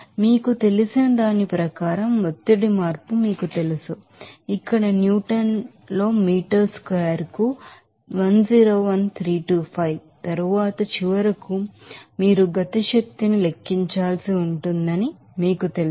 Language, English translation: Telugu, So, what from the you know pressure change in terms of you know that here in Newton per meter square then you have to multiply it by you know that 101325 then finally, you will get this 1 after that you have to calculate the kinetic energy